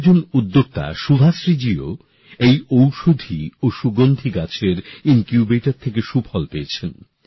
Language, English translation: Bengali, Another such entrepreneur is Subhashree ji who has also received help from this Medicinal and Aromatic Plants Incubator